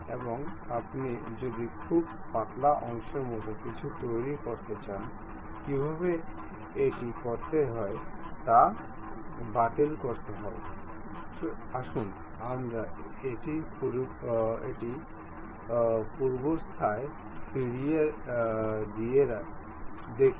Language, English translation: Bengali, Now, if you want to construct something like a very thin portion; the way how to do that is cancel, let us undo that, ok